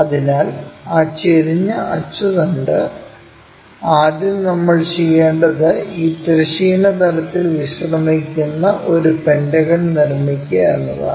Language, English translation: Malayalam, So, to do that inclined axis first of all what we will do is we will construct a pentagon resting on this horizontal plane